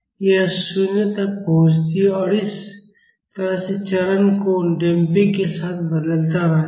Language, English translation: Hindi, It approaches 0 and this is how the phase angle varies with damping